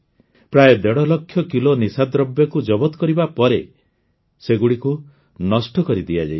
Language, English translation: Odia, 5 lakh kg consignment of drugs, it has been destroyed